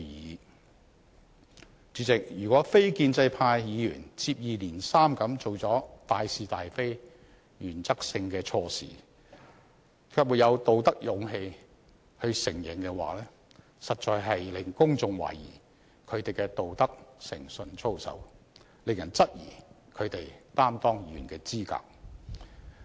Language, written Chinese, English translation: Cantonese, 代理主席，如果非建制派議員接二連三做出關乎大是大非、原則性的錯事，卻沒有道德勇氣承認，實在令公眾懷疑他們的道德誠信操守，令人質疑他們擔當議員的資格。, Deputy President if non - establishment Members have committed mistakes in a row that involve cardinal issues of right and wrong and run against the principles but lack the moral courage to admit them it will definitely lead to public queries about their ethics probity and integrity questioning their qualification as Members